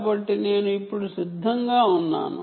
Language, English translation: Telugu, ok, so i have been consistent